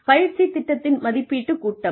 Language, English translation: Tamil, The assessment phase of a training program